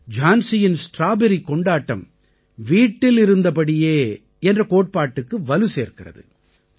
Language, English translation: Tamil, Jhansi's Strawberry festival emphasizes the 'Stay at Home' concept